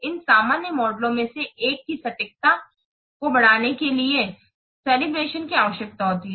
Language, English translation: Hindi, Calivation is needed to increase the accuracy of one of these general models